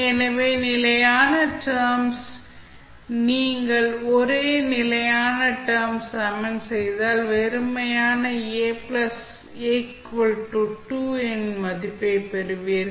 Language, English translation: Tamil, So, for constant terms, if you equate the only constant terms, you will simply get the value of A that is equal to 2